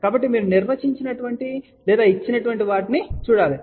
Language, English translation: Telugu, So, you have to see what has been defined or given